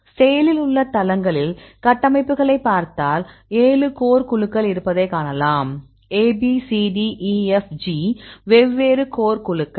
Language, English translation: Tamil, So, then if you look into the structures in the active sites and you can see there are 7 core groups; so, these are a 7 core group A, B, C D, E, F, G different core groups